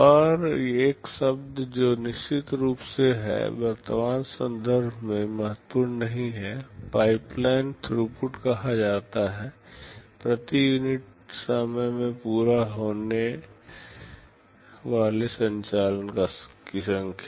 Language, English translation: Hindi, And another term which is of course is not that important in the present context is called pipeline throughput; the number of operations completed per unit time